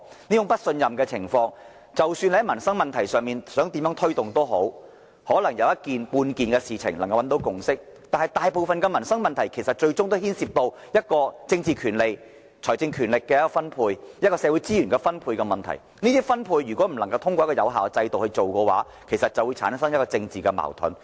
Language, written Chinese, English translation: Cantonese, 即使多麼想在民生問題上作出推動，可能有少數事情能找到共識，但當大部分民生問題都涉及政治權利、財政權力、社會資源的分配，而這些分配不能透過一個有效的制度進行時，便會產生政治矛盾。, No matter how we wish to achieve progress in addressing livelihood issues and even though it is possible to reach a consensus on certain matters there will still be political contradictions since most livelihood issues involve political rights financial authority and allocation of social resources but the allocation cannot be made through an effective system